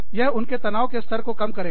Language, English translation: Hindi, That will bring, their stress levels down